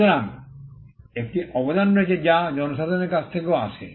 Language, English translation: Bengali, So, there is a contribution that comes from the public as well